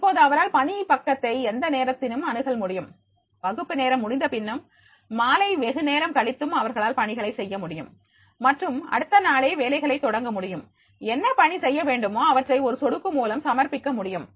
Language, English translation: Tamil, Now here they can make the access to the assignment page any time, even after the class hours and maybe in the late evening they can make the assignments and start working on that for the just the next day, what assignment is to be submitted with a just a click